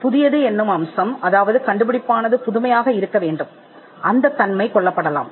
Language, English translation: Tamil, The newness aspect, the fact that the invention has to be novel, that may get killed